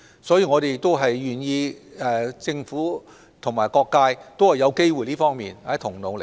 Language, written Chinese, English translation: Cantonese, 所以，我們願意由政府與各界在這方面一同努力。, Thus we as the Government are willing to take the lead and work together with different sectors of society on this work